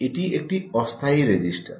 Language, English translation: Bengali, this is the temporary register